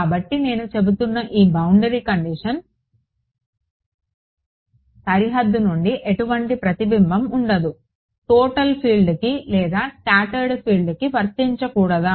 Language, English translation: Telugu, So, this boundary condition that I am saying that, no reflection from the boundary it should be applied to the total field or the scattered field